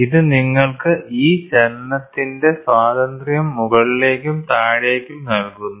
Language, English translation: Malayalam, So, you this gives you a freedom of this motion up and down